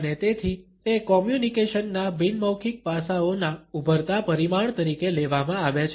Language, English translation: Gujarati, And therefore, it is understood as an emerging dimension of non verbal aspects of communication